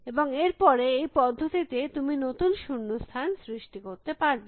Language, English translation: Bengali, And then in the process you will create the new blanks